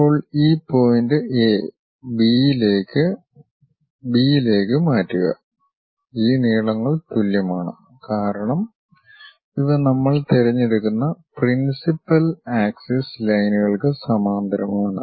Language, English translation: Malayalam, Now transfer this point A B to A B these lengths are one and the same, because these are the principal axis lines parallel to principal axis lines we are picking